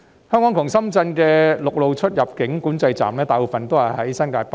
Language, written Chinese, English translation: Cantonese, 香港與深圳之間的陸路出入境管制站，大部分位於新界北。, Most of the land control points along the boundary between Hong Kong and Shenzhen are located in New Territories North